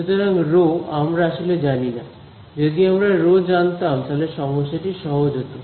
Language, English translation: Bengali, So, rho actually we do not know, if we knew rho then this problem was simple